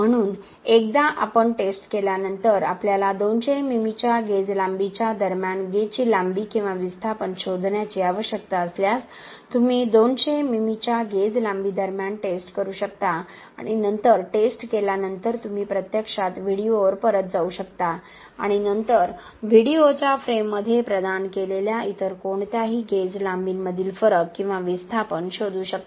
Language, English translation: Marathi, So, once we have tested for example if we need to find the gauge length or displacement between the gauge length of 200 mm you can test between the gauge length of 200 mm and then after testing you can actually go back to the video and then find the difference or the displacement between any other gauge lengths provided in the frame of the video